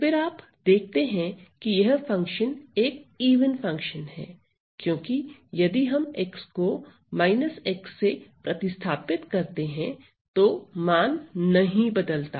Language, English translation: Hindi, So, then you see that this function is an even function, because if I replace x by minus x, the value does not change